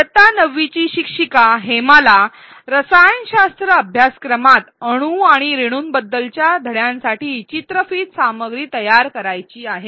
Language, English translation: Marathi, A class 9 instructor, Hema wants to create content videos for her lesson on atoms and molecules in a chemistry course